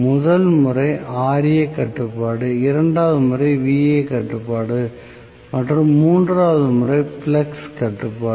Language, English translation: Tamil, So, the first method is Ra control, the second method is Va control and the third method is flux control